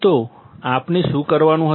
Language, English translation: Gujarati, So, what we had to do